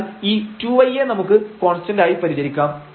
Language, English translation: Malayalam, So, the 2 y will be treated as constant